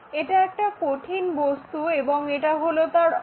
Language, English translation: Bengali, It is a solid object, axis is that